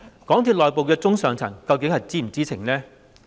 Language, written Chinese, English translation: Cantonese, 港鐵公司內部的中、上層究竟是否知情呢？, Were the mid and senior level management inside MTRCL in the know?